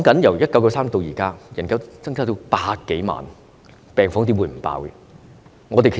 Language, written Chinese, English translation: Cantonese, 由1993年至今，人口增加了100多萬，病房怎會不爆滿？, Since 1993 the population has increased by over 1 million people . How can the wards not be overcrowded?